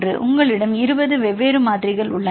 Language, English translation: Tamil, So, you have the 20 different values